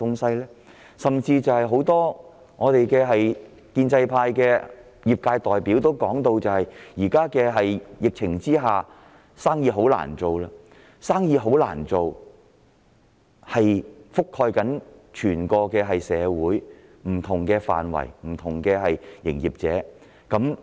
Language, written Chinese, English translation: Cantonese, 甚至很多建制派的業界代表也表示，在疫情下市道很差，生意難做，這情況已覆蓋整體社會不同範疇、不同經營者。, As pointed out by many trade representatives from the pro - establishment camp the market situation during the epidemic is so poor that business has been made very difficult and this has happened to many different sectors and business operators in our society